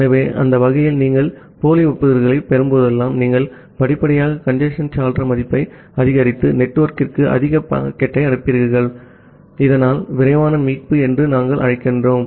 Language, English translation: Tamil, So, that way, whenever you are receiving the duplicate acknowledgements, you are gradually increasing the congestion window value and sending more packet to the network, so that we call as the fast recovery